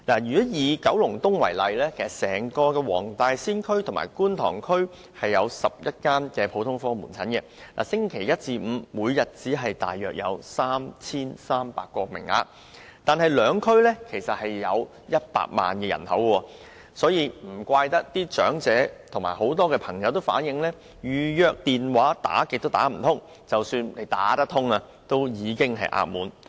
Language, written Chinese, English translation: Cantonese, 以九龍東為例，整個黃大仙區和觀塘區有11間普通科門診診所，星期一至五每天只有約 3,300 個名額，但兩區人口合共100萬人，難怪該兩區的長者和多位人士也表示，預約門診服務的電話甚少能接通，即使接通，亦已額滿。, For example there are altogether 11 GOPCs throughout Wong Tai Sin district and Kwun Tong district in Kowloon East KE with a daily consultation quota of around 3 300 from Monday to Friday . Given the two districts have a total population of one million no wonder the elderly residents of the two districts and various people also remarked that they could rarely get the line connected when using HAs telephone appointment system for booking consultation timeslots at GOPCs